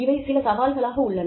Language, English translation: Tamil, So, these are some of the challenges